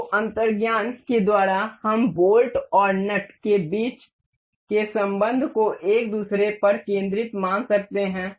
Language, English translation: Hindi, So, by intuition we can see the relation between the bolt and the nut is supposed to be concentric over one another